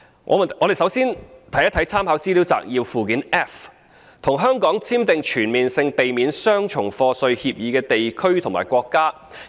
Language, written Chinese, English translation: Cantonese, 我們首先看一看參考資料摘要的附件 F， 即與香港簽訂全面性避免雙重課稅協定的地區或國家的資料。, Let us first take a look at Annex F of the Legislative Council Brief which lists the information of the countries and regions with which Hong Kong has entered into CDTAs